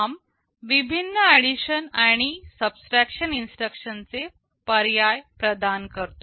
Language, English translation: Marathi, ARM provides with various addition and subtraction instruction alternatives